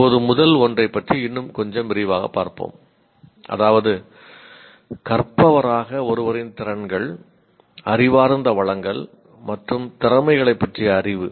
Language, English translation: Tamil, Now let us look at a little more in detail about the first one, knowledge about one skills, intellectual resources, and abilities as learners